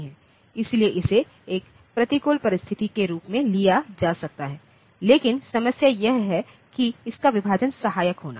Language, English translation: Hindi, So, that may be taken as a disadvantage, but the problem is that supporting division